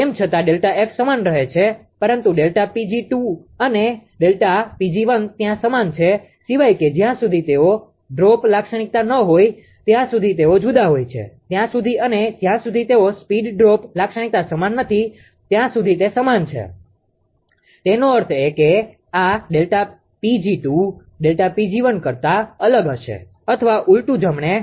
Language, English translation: Gujarati, Although delta F delta F remain same, but delta P g 2 and delta P g 1 there are same unless and until they are droop characteristic they are different unless and until they are ah speed droop characteristic is identical right; that means, this delta P g 2 will be different than delta P g 1 or or vice versa right